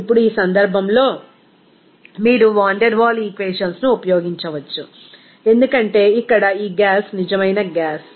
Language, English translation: Telugu, Now, in this case, you can use the Van der Waal equations because here this gas is real gas